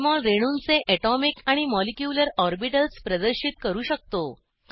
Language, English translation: Marathi, Jmol can display atomic and molecular orbitals of molecules